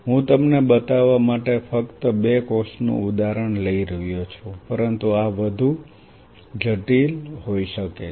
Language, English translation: Gujarati, I am just taking example of two cells to show you, but this could be way more complex